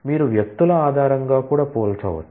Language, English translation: Telugu, You can compare based on people as well